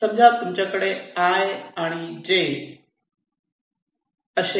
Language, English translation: Marathi, suppose you have two nets, i and j